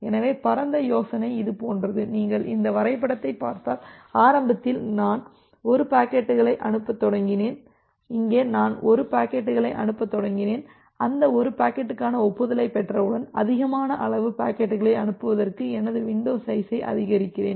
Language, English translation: Tamil, So, the broad idea is something like this if you look into this diagram you can see that initially I started sending 1 packets, here I am I have started sending 1 packets and once I receive the acknowledgement for that 1 packet, I increase my window size to send more packets in parallel